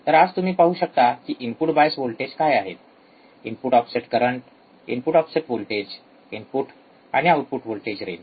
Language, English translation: Marathi, So, we will see today what are input bias voltage input offset current input offset voltage, input and output voltage range